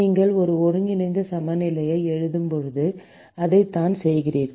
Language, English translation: Tamil, This is exactly what you do when you write an integral balance